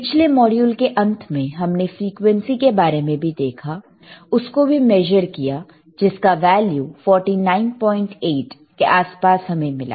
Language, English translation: Hindi, Then at the end of that particular module, we were also able to see the frequency, which we were able to measure around 49